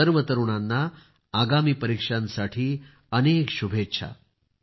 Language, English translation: Marathi, Best wishes to all my young friends for the upcoming exams